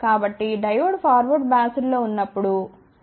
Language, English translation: Telugu, So, when the Diode is forward biased ok